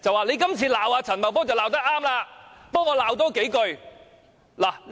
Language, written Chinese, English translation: Cantonese, 你今次罵陳茂波罵得對，替我多罵數句"。, You have rightly rebuked Paul CHAN give him a stern rebuke on my behalf